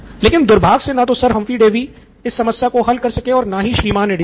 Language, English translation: Hindi, But unfortunately neither could Sir Humphry Davy solve this problem and neither could Mr